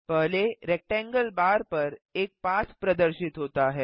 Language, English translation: Hindi, A path has appeared on the first rectangle bar